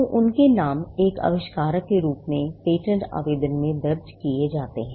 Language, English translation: Hindi, So, their names figure in filing in a patent application as the inventors